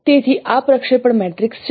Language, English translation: Gujarati, You have this projection matrix